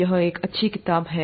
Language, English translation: Hindi, It's also a nice book